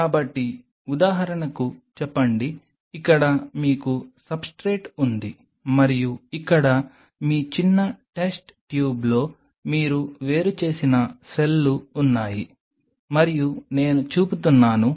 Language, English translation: Telugu, So, say for example, here you have the substrate and here you have in your small test tube you have the cells what you have isolated and I am showing the